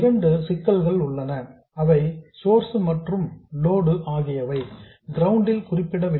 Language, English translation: Tamil, The two problems are that the source and load are not ground referenced